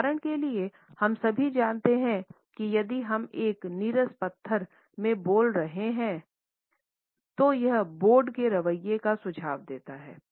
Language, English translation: Hindi, For example all of us know that if we are speaking in a monotonous stone, it suggests a board attitude